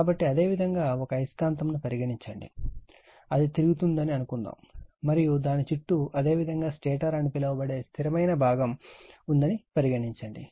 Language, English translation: Telugu, So, you have a magnet say, suppose it is revolving right and it is surrounded by your static part called stator